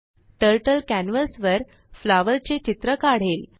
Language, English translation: Marathi, Turtle draws a flower on the canvas